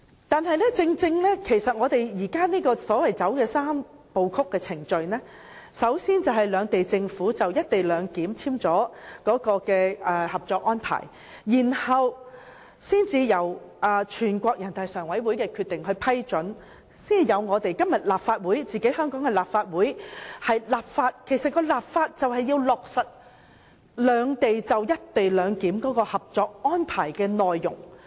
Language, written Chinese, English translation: Cantonese, 然而，我們現時採用的是"三步走"程序，先由兩地政府就"一地兩檢"簽署《合作安排》，再由全國人民代表大會常務委員會作出批准《合作安排》的《決定》，才有今天香港立法會的立法程序，旨在落實兩地就"一地兩檢"的《合作安排》的內容。, Nevertheless we have now adopted a Three - step Process with the first step being the signing of the Co - operation Arrangement between the two Governments in relation to the co - location arrangement followed by the Decision made by the Standing Committee of the National Peoples Congress NPCSC before coming to the legislative process in the Legislative Council of Hong Kong today seeking to implement the details of the Co - operation Arrangement between both sides in relation to the co - location arrangement